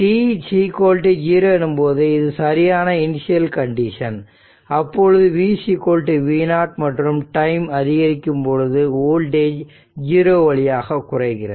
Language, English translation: Tamil, So, it is v is equal to V 0 right and as time t increases the voltage decreases towards 0